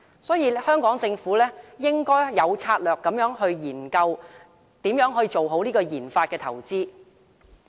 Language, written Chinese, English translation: Cantonese, 所以，香港政府應該有策略地研究如何做好研發投資。, Hence the Hong Kong Government should strategically explore how it can properly take forward its RD investment